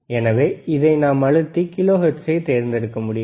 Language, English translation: Tamil, So, we can just press and we can have kilohertz option